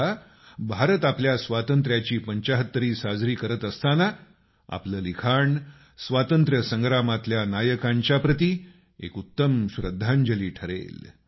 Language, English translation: Marathi, Now, as India will celebrate 75 years of her freedom, your writings will be the best tribute to those heroes of our freedom